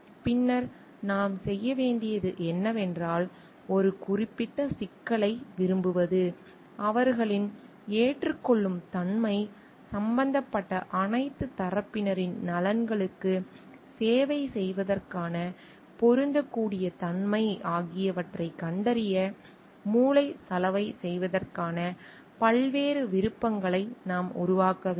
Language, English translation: Tamil, Then what we need to do is to like for one particular problem, we need to develop how variety of options for brainstorming to find out their acceptability, applicability for serving the interest of all the parties involved